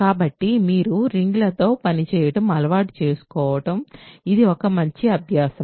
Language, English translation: Telugu, So, it is a good exercise for you to get used to working with rings